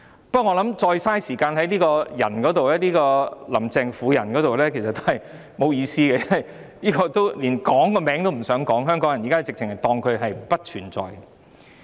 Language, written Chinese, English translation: Cantonese, 不過，我認為再花時間在"林鄭"這個婦人身上其實沒有意思，因為香港人連她的名字都不想提起，簡直把她當作不存在。, Nonetheless I think it is actually meaningless to spend further time on this woman because the people of Hong Kong do not even want to mention her name . They have simply ignored her